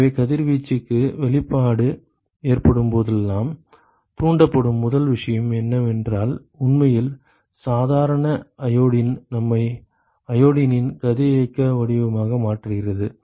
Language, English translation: Tamil, So, whenever there is an exposure to radiation, one of the first thing that gets triggered is actually the normal iodine get us converted into the radioactive form of iodine